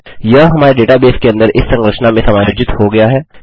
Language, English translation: Hindi, Its adjusted into that structure in my database